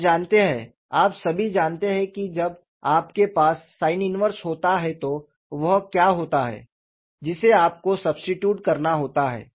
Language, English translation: Hindi, You all know when you have sign inverse 1, what is it that you have to substitute